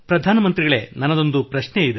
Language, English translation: Kannada, Prime Minister I too have a question